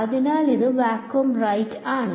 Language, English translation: Malayalam, So, it is vacuum right